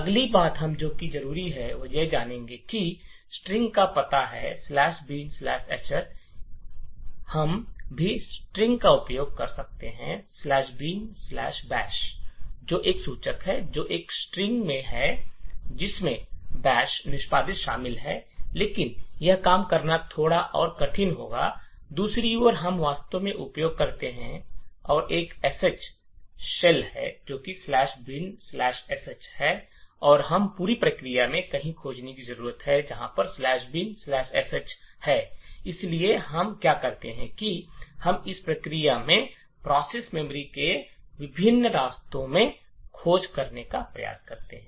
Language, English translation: Hindi, okay the next thing we need is the address of the string /bin/sh, we could also use the string/bin/bash which is a pointer, which is a string comprising of the bash executable but making it work that we would be a little more difficult, on the other hand we actually use and create a SH shell that is /bin/sh and we need to find somewhere in the entire process, where /bin/sh is present, so we do is we try to search in the various paths of this process memory